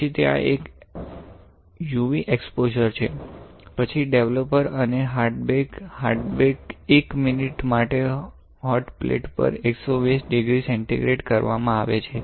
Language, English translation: Gujarati, Then there is a UV exposure, then developer, and then hard bake; hard bake is done at 120 degree centigrade on a hotplate for 1 minute right